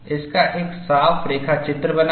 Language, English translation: Hindi, Make a neat sketch of this